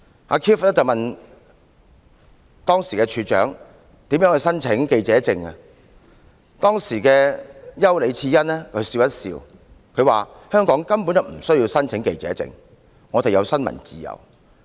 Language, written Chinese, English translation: Cantonese, 當時 Keith 問處長如何申請記者證，丘李賜恩只是笑了一笑，指香港根本無須申請記者證，因為"我們有新聞自由"。, Keith asked the Director how to apply for a press card Mrs YAU just smiled and said that journalists did not need to apply for a press card in Hong Kong because we have freedom of the press here